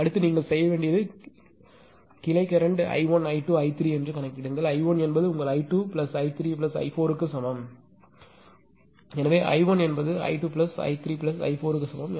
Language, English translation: Tamil, Next what you have to do is you calculate the branch current that is i 1 i 2, i 3; i 1 will be is equal to your i 2 plus i 3 plus i 4; the small i 2 small i 3 plus small i 4